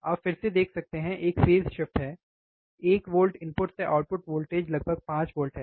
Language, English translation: Hindi, You use again there is a phase shift the output voltage now is from one volts, it is about 5 volts